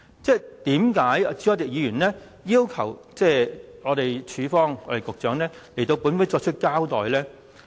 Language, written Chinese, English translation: Cantonese, 為甚麼朱凱廸議員要求局長向本會作出交代呢？, Why did Mr CHU Hoi - dick request that the Secretary give an account to this Council?